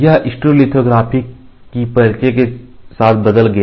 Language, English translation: Hindi, This changed with the introduction of stereolithography